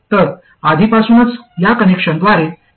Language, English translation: Marathi, So there is already feedback just by this connection